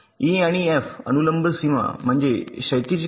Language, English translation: Marathi, d and e, there is a vertical edge